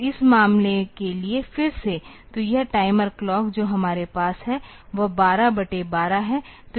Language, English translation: Hindi, So, for this matter again; so, this timer clock that we have is that is a 12 by 12